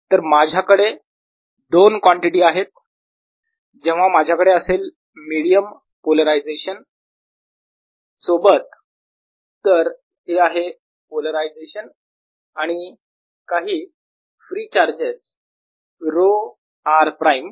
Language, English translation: Marathi, so i have two quantities: whenever i have a medium with polarization, whenever i have a medium, both polarization so this is polarization and some free charges, rho r prime